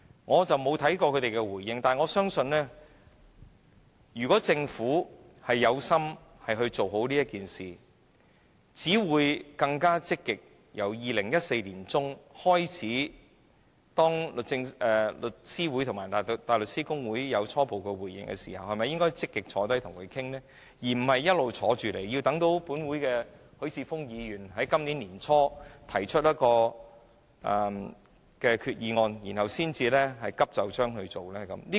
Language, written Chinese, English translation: Cantonese, 我沒有看過他們的回應，但我相信，如果政府有心做好此事，便會在2014年年中當律師會和大律師公會有初步回應時積極討論，而並非一直等待許智峯議員在今年年初提出擬議決議案時才急就章處理。, Even though I have not read their replies I believe that if the Government had had the intention to do this task satisfactorily it would have held active discussions when The Law Society and the Bar Association gave their initial replies in mid - 2014 rather than hastening to deal with this matter only after Mr HUI Chi - fung put forth a proposed resolution early this year